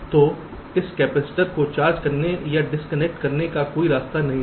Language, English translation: Hindi, so there is no path for this capacitor to get charged or discharged